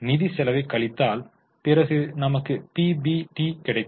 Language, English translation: Tamil, After you deduct finance cost, you get PBT